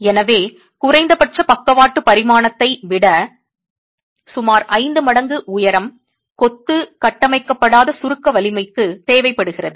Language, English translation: Tamil, So, the height of about five times the least lateral dimension is what is required as far as the unconfined compressive strength of masonry